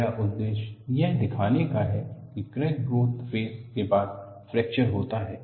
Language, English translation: Hindi, My interest is to show, that there is a crack growth phase followed by fracture